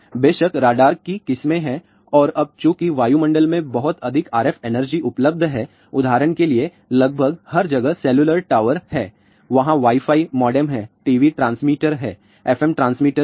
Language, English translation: Hindi, So, much RF energy available in the atmosphere for example, there are cellular towers almost everywhere their Wi Fi modems are there, there are TV transmitters are there fm transmitter